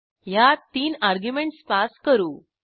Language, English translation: Marathi, In this we have passed three arguments